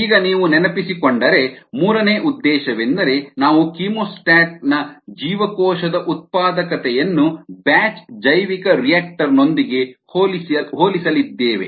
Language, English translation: Kannada, if you recall, we were going to compare the cell productivities of the chemostat with that of a batch bioreactor